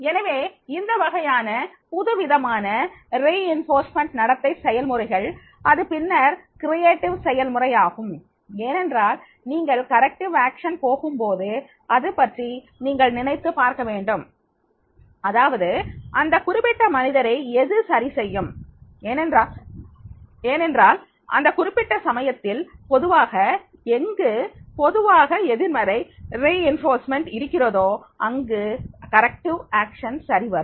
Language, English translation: Tamil, So, these type of the new reinforcement behavior practices then that will be the creative one practices because when you are going for the corrective action you have to think about it that what will make this particular person correct because the situation normally corrective action is applicable where normally negative reinforcement is applicable